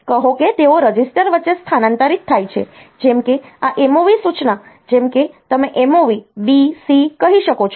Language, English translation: Gujarati, Say, they transfer between registers, like this MOV instruction like you can say MOV B comma C